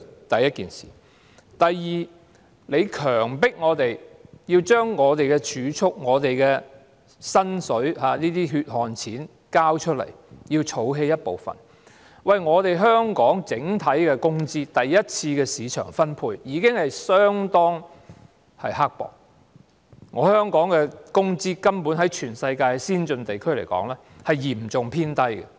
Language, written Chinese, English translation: Cantonese, 第二，當局強迫我們將儲蓄、薪金等血汗錢交出，要我們儲起一部分，但香港整體的工資，在第一次的市場分配中已相當刻薄，香港的工資在全球先進地區來說，是嚴重偏低的。, Second the authorities force us to hand over part of our hard - earned money such as wages and savings and make us save that portion . However overall wages in Hong Kong are already mean enough during the first round of market distribution and as far as the worlds advanced regions are concerned the wages in Hong Kong are particularly low